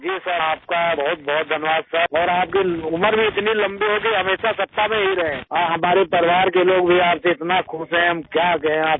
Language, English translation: Hindi, Sir, thank you very much sir, may you live so long that you always remain in power and our family members are also happy with you, what to say